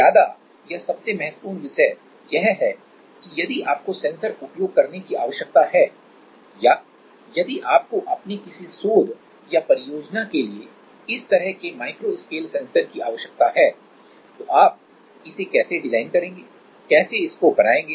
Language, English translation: Hindi, The thing is like the more or the most important thing is that how like if you need to use or if you need any of this kind of micro scale sensors for your research or project, then how are you going to design it, how are you going to make it